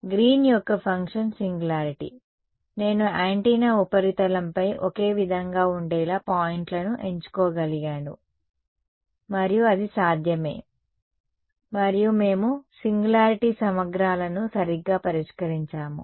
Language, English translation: Telugu, The Green's function singularity, I could have chosen the points to be on the same on the surface of the antenna right it's possible and we have dealt with singular integrals right